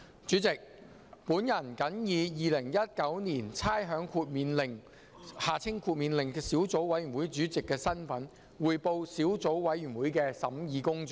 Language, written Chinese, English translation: Cantonese, 主席，我謹以《2019年差餉令》小組委員會主席的身份，匯報小組委員會的審議工作。, President in my capacity as Chairman of the Subcommittee on Rating Exemption Order 2019 I report on the deliberations of the Subcommittee